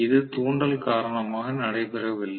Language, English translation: Tamil, It is not because of induction